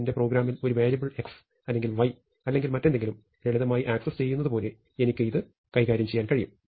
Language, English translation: Malayalam, And I can just treat it as like any other access, like accessing a variable x or y or anything else simple in my program